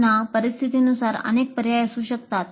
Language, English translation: Marathi, Again, depending upon the situation, there can be several options